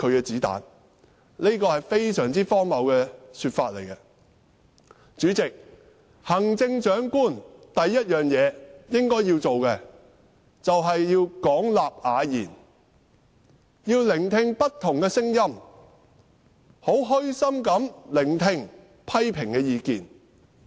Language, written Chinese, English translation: Cantonese, 這是非常荒謬的說法。主席，行政長官首要做的事應是廣納雅言，聆聽不同的聲音，虛心地聆聽批評的意見。, President a priority task of the Chief Executive is to extensively solicit different advice and humbly listen to criticism